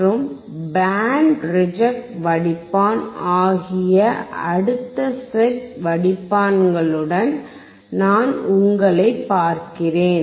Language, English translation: Tamil, And I will see you in the next class with the next set of filter which is the band pass filter and band reject filter